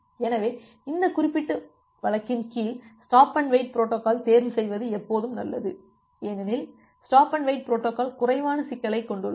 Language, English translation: Tamil, So, under this particular case it is always good to choose a stop and wait protocol because stop and wait protocol has the least complexity